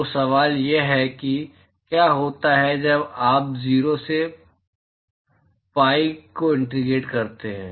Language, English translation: Hindi, So the question is what happens when you integrate from 0 to pi